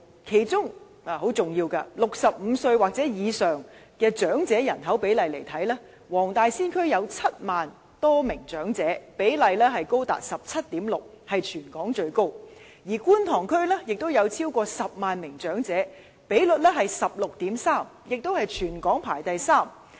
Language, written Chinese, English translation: Cantonese, 其中很重要的一點，是65歲或以上的長者人口比例，黃大仙區有7萬多名長者，比例高達 17.6%， 屬全港最高；而觀塘區也有超過10萬名長者，比例是 16.3%， 全港排第三位。, One salient point to note is the proportion of elderly population aged 65 or above . There are more than 70 000 elderly persons in the Wong Tai Sin District representing a proportion of 17.6 % which is the highest in Hong Kong . And the Kwun Tong District also has over 100 000 equivalent to a proportion of 16.3 % which ranks the third territory - wide